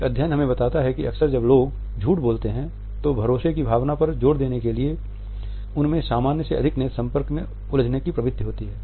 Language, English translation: Hindi, A studies tell us that often when people lie that tend to over gaze engaging in more eye contact then what is perceived to be normal in order to emphasize the trustworthiness